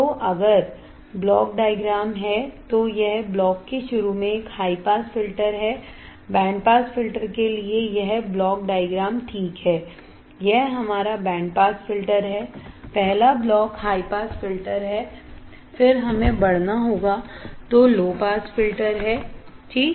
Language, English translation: Hindi, So, if there is a block diagram it is a high pass filter at the starting of the block, this block diagram for the band pass filter alright this is our band pass filter, the first block is high pass filter, then we have to amplify then low pass filter alright